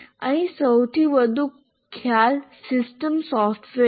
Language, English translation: Gujarati, We have here the highest concept is system software